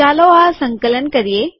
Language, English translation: Gujarati, Let us compile it